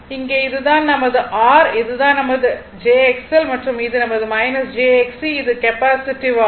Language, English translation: Tamil, So, in this case this is my R, this is my jX L and this is my minus jX C, it is capacitive